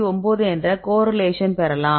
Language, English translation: Tamil, So, you get the correlation is 0